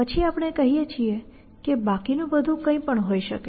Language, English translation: Gujarati, Then we say that everything else could be anything